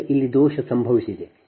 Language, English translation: Kannada, right now, fault has occurred here